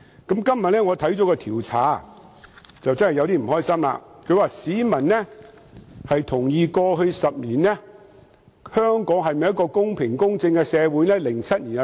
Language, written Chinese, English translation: Cantonese, 今天，我看到一項調查，實在覺得不開心，調查主要問市民是否同意，過去10年香港是一個公平公正的社會。, Today I am really unhappy about the result of a survey . In the survey people were asked if they thought Hong Kong has been a fair and impartial society in the past 10 years